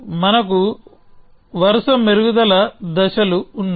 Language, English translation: Telugu, We have a series of refinements steps